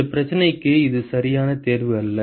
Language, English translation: Tamil, It is not the right choice for this problem